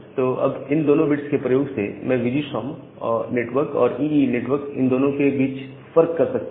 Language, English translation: Hindi, So, this using this next two bits, I can differentiate between VGSOM network and the EE network